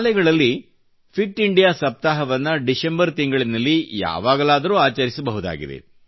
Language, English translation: Kannada, Schools can celebrate 'Fit India week' anytime during the month of December